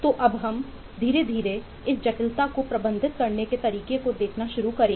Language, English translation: Hindi, so now we slowly start getting into how to handle how to manage this complexity